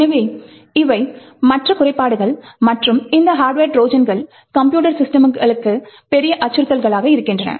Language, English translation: Tamil, So, these are other flaws and these hardware Trojans are big threat to computing systems